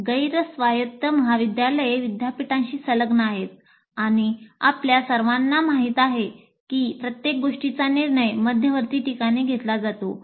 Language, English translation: Marathi, Whereas non autonomous colleges are affiliated to universities and as you all know, everything is decided by the in a central place